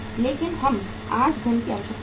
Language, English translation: Hindi, But we need the funds today